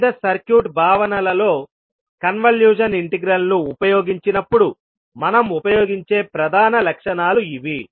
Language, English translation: Telugu, So these would be the major properties which we will keep on using when we use the convolution integral in the various circuit concepts